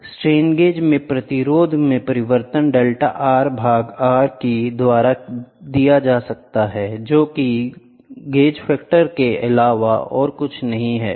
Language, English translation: Hindi, Strain gauge the change in resistance is given by delta R by R which is nothing but G F